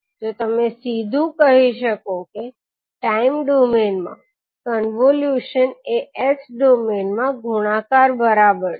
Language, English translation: Gujarati, So you can simply say that the convolution in time domain is equivalent to the multiplication in s domain